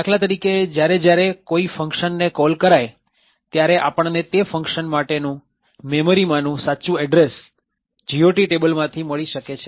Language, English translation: Gujarati, So, for example every time there is call to a function, we could get the actual address for that particular function from the GOT table